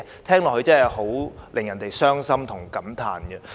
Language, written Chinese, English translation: Cantonese, 聽起來真的令人傷心及感嘆。, This is saddening and sorrowful indeed